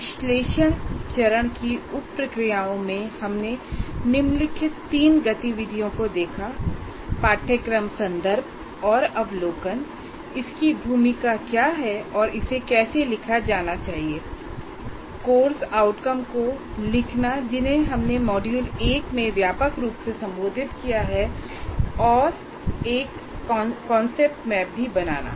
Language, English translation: Hindi, And among the various sub processes we looked at in the analysis phase, course context and overview, what is its role and how it should be written, and writing the course outcomes, which we have addressed in the module 1 extensively and then also drawing a kind of a what we call as a concept map